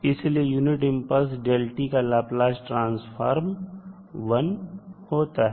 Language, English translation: Hindi, So, the Laplace of the unit impulse function is 1